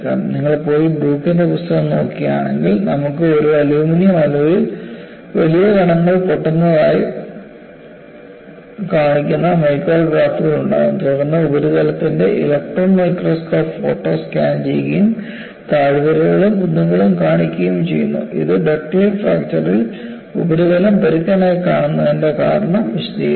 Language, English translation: Malayalam, In fact, if you go and look at the book by broek, you would have micrographs showing breaking of large particles in an aluminum alloy, and followed by scanning electron microscope photograph of the surface, showing valleys and mounts, which explains why the surface has been rough in a ductile fracture